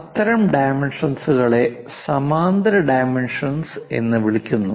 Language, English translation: Malayalam, Such kind of dimensioning is called parallel dimensioning